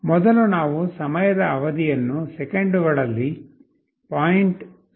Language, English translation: Kannada, First we set the time period in seconds as 0